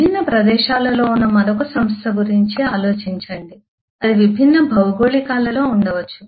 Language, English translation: Telugu, think about another enterprise which is kind of across different locations, may be across geographies